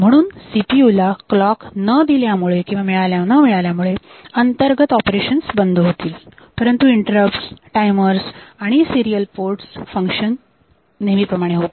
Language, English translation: Marathi, So, CPU will not get the clock as a result the internal operation will stop interrupt timer and serial port functions act normally